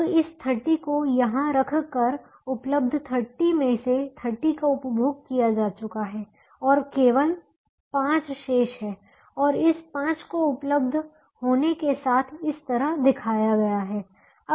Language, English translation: Hindi, now, by putting this thirty here, thirty out of the thirty five available has been consumed and only five is remaining, and that is shown this way, with five being available